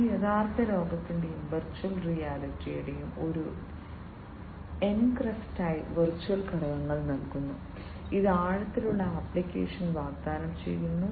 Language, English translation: Malayalam, It delivers virtual elements as an in as an encrust of the real world and virtual reality it offers immersive application